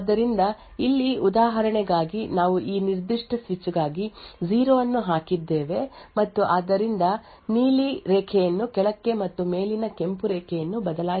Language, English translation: Kannada, So over here for the example you see that we have poured 0 for this particular switch and therefore it switches the blue line to the bottom and the Red Line on top and so on